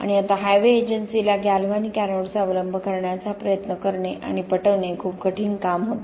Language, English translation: Marathi, And now was a very hard work to try and convince the Highways Agency to adopt galvanic anode